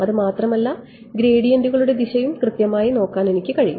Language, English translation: Malayalam, Not just that, I can also look at the direction of the gradients right